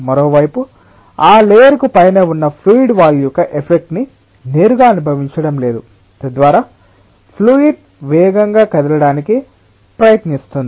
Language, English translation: Telugu, on the other hand, the fluid which is above that layer is not feeling that effect of the wall directly, so that ah is trying to make the fluid move faster